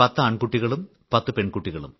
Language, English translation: Malayalam, We were 10 boys & 10 girls